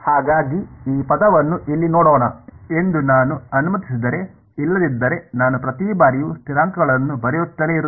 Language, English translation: Kannada, So this if I just let us just look at this term over here ok, otherwise I will have to keep writing the constants each time